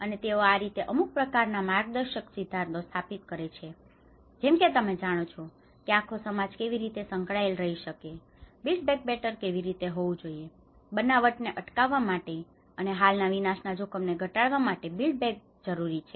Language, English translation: Gujarati, And that is how they sort of establish some kind of guiding principles you know how this whole the society could be engaged, how the build back better has to be, the build back better for preventing the creation and reducing existing disaster risk